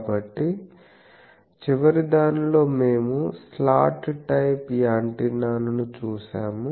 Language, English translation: Telugu, So, in the last one we have seen a slot type of antenna